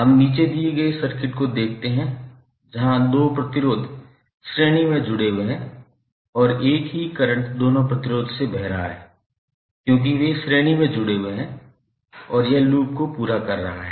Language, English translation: Hindi, Let us see the circuit below where two resistors are connected in series and the same current is flowing through or both of the resistors because those are connected in the series and it is completing the loop